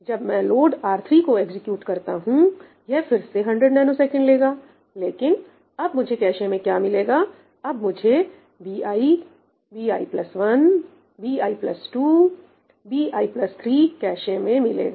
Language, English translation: Hindi, And when I execute this, ‘load R3’, this is again going to take 100 nanoseconds, but what do I get in the cache I get bi, bi plus 1, bi plus 2, bi plus 3